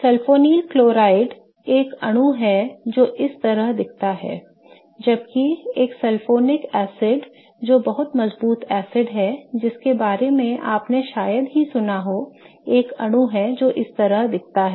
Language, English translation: Hindi, Whereas a sulfonic acid which is a very strong acid you might have heard about this is a molecule that looks like this